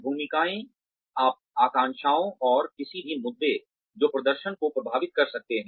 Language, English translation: Hindi, Roles, aspirations, and any issues, that can affect the performance